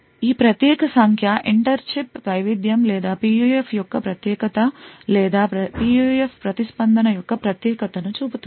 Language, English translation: Telugu, This particular figure shows the inter chip variation or the uniqueness of the PUF or the uniqueness of the PUF response